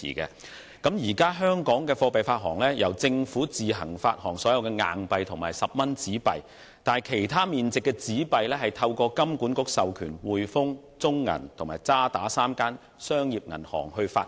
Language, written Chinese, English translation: Cantonese, 香港現時的貨幣發行方式是，由政府自行發行所有硬幣和10元紙幣，但其他面值的紙幣是透過金管局授權香港上海滙豐銀行、中國銀行有限公司和渣打銀行香港3間商業銀行發行。, Under the currency issuance system in Hong Kong all the coins and 10 notes are issued by the Government and the paper notes of other face values are issued by three commercial banks namely the Hongkong and Shanghai Banking Corporation Limited the Bank of China Hong Kong Limited and the Standard Chartered Bank Hong Kong Limited authorized by HKMA